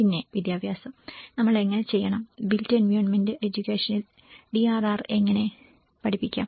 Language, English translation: Malayalam, And then education, how we have to, how to teach the DRR in the built environment education